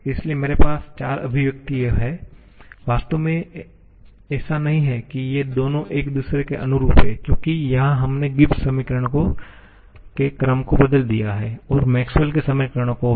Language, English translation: Hindi, So, I have the 4 expressions, actually it is not that these two are corresponding to each other because here we have changed the order of the Gibbs equations and also the Maxwell's equations